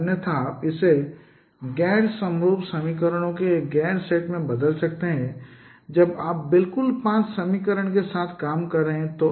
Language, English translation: Hindi, Otherwise you can also convert it into a non set of non homogeneous equations when you are working with exactly five equations